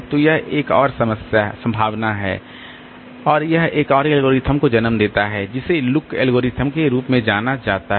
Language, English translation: Hindi, So, that is another possibility and that gives rise to another algorithm which is known as a look algorithm